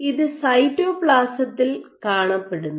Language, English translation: Malayalam, So, it is present in the cytoplasm